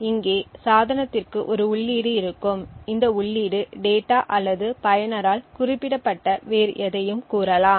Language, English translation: Tamil, So, there would be an input to the device over here so this input could be either say data or anything else which is specified by the user